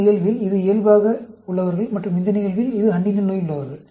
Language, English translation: Tamil, In this case, this is control and in this case, this is the Huntington disease